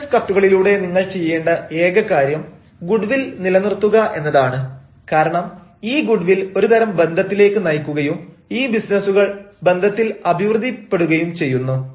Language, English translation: Malayalam, you know, all you do through business letters is to continue the goodwill, because this goodwill leads to a sort of relationship and businesses tribe on relationship